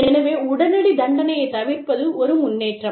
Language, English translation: Tamil, So, avoiding immediate punishment, a progress